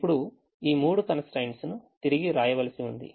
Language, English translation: Telugu, now this three constraints have to be rewritten